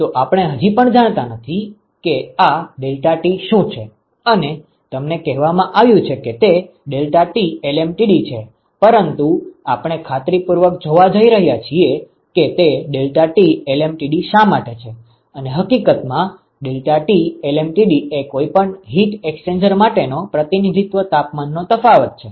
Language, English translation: Gujarati, So, we still do not know what this deltaT is you have been told that it is deltaT LMTD, but we are going to see rigorously why it is deltaT LMTD and in fact, why deltaT, LMTD is the representative temperature difference for any heat exchanger